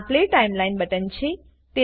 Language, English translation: Gujarati, This is the Play Timeline button